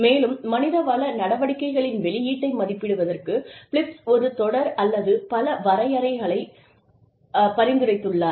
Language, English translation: Tamil, And, Philips has suggested, a series of, or a number of parameters on which, to assess the output of human resources activities